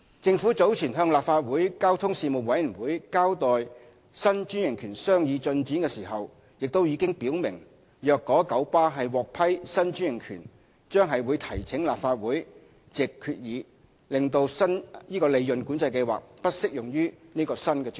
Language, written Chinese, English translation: Cantonese, 政府早前向立法會交通事務委員會交代新專營權的商議進展時，亦已表明若九巴獲批新專營權，將會提請立法會藉決議使利潤管制計劃不適用於該新專營權。, When briefing the Legislative Council Panel on Transport on the progress of discussion on the new franchise with KMB some time ago we stated clearly that should KMB be granted a new franchise the Government would move a resolution in the Legislative Council to disapply PCS to the new franchise